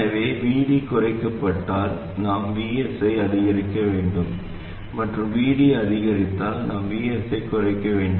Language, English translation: Tamil, So if VD reduces we, we must increase VS, and if VD increases, we must reduce VS